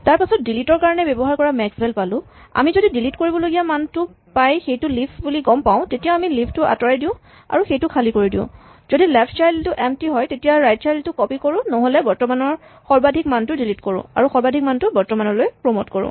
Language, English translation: Assamese, And finally, we have maxval which we made for delete and delete now when we reach the situation where we are found a value to that needs to be deleted if it is a leaf then we remove the leaf and make it empty if it is the left child is empty then we copy the right child up otherwise we delete the maximum from the left and promote that maximum value to a current